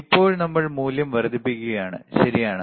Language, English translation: Malayalam, So now, we are increasing the value, right